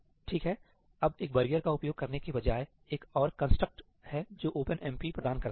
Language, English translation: Hindi, Okay, now, instead of using a barrier, there is another construct that OpenMP provides